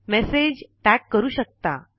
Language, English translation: Marathi, You can also tag messages